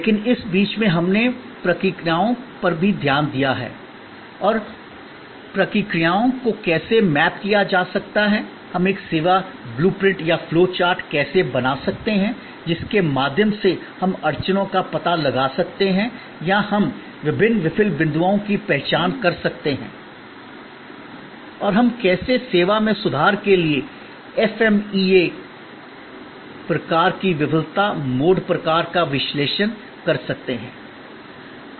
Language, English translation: Hindi, But, in the mean time we have also looked at processes and how processes can be mapped, how we can create a service blue print or flow chart through which we can then find out the bottlenecks or we can identify the various fail points and how we can do an FMEA type of failure mode type of analysis to improve upon the service